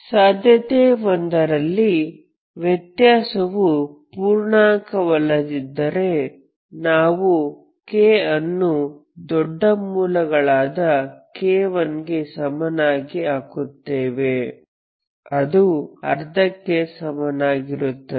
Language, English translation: Kannada, So start with this case 1 when the difference is non integer you put k equal to bigger root k 1 which is half